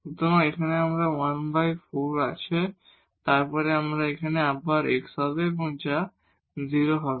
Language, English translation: Bengali, So, here we will have 1 over 4 and then here again x that will become 0